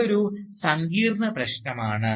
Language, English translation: Malayalam, This is a complex issue